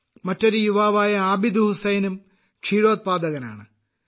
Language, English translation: Malayalam, Another youth Abid Hussain is also doing dairy farming